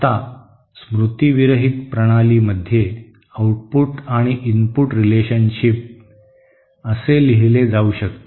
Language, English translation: Marathi, Now in a memory less system, the output and input relationship can be written like this